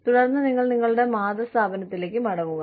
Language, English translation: Malayalam, And then, you come back to your parent organization